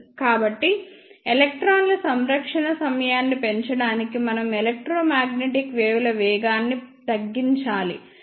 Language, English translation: Telugu, So, to increase the time of interaction of electrons, we need to decrease the velocity of electromagnetic waves